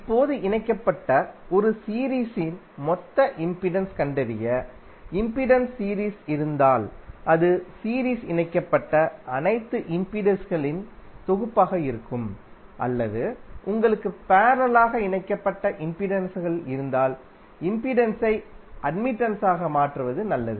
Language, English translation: Tamil, Now, law of in impedance is in series and parallel are like when you want to find out the total impedance in a series connected it will be summation of all the impedances connected in series or if you have the parallel connected then better to convert impedance into admittance